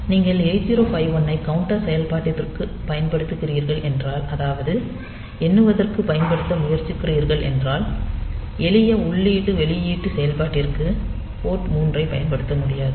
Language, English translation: Tamil, So, if you are using this 8051, for this counter operation if you are trying to use this counter facility then we cannot use port 3 for simple input output operation anyway